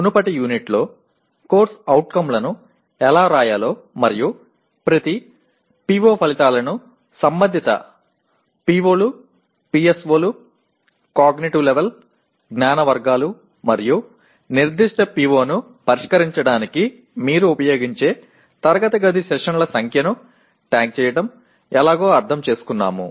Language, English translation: Telugu, In the previous unit we understood how to write course outcomes and tagging each course outcome with corresponding POs, PSOs, cognitive level, knowledge categories and number of classroom sessions you are likely to use to address that particular PO